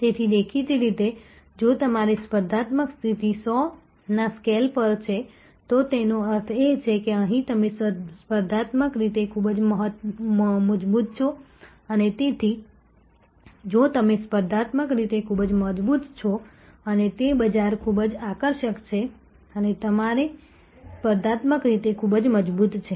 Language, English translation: Gujarati, So; obviously, if you are competitive position is like this is on a scale of 100, so which means here you are very strong competitively and, so if you are competitively very strong and that market is very attractive and your competitively very strong